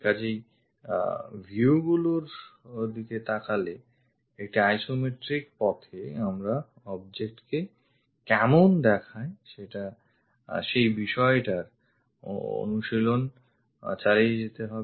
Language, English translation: Bengali, So, looking at views also one should really practice how the object really looks like in isometric way